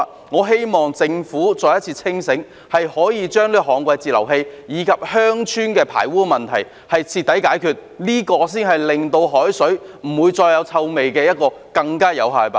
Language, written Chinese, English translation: Cantonese, 我希望政府可以再次清醒，將這個旱季截流器及鄉村的排污問題徹底解決，這才是令海水不再傳出臭味的更有效辦法。, I hope the Government will come to its senses again and thoroughly solve this problem of DWFIs and sewerage in the villages . This is a more effective way to prevent emission of odour from the seawater